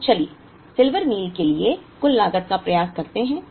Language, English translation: Hindi, So, let us try and do the total cost for Silver Meal